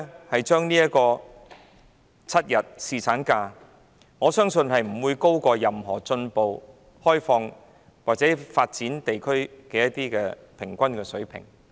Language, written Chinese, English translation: Cantonese, 我相信7天侍產假不會高於任何進步、開放或已發展地區的平均水平。, I believe that seven days paternity leave entitlement will not be higher than the average paternity leave entitlement in any advanced open or developed regions